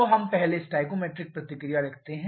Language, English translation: Hindi, So, let us first write the stoichiometric reaction